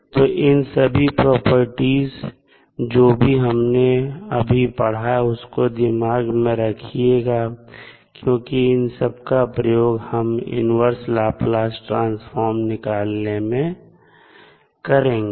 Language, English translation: Hindi, So, all those, the properties which we have discussed, you have to keep in mind because these will be used frequently in the, calculation of inverse Laplace transform